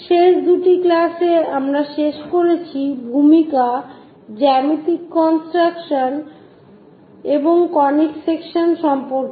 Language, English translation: Bengali, In the last two classes, we have covered introduction, geometric constructions and conic sections